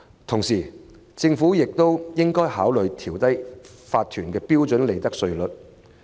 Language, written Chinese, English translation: Cantonese, 同時，政府亦應考慮調低法團的標準利得稅率。, Meanwhile the Government should consider lowering the standard profits tax rate applicable to corporations